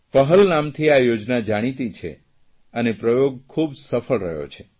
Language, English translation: Gujarati, This scheme is known as 'Pahal' and this experiment has been very successful